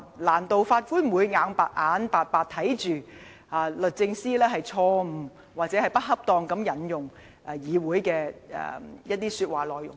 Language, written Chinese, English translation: Cantonese, 難道法官會眼巴巴看着律政司錯誤或不恰當地引用議會的說話內容嗎？, Will the Judge simply let DoJ use the speeches delivered in this Council incorrectly or inappropriately?